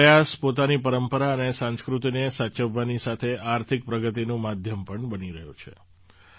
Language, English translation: Gujarati, Along with preserving our tradition and culture, this effort is also becoming a means of economic progress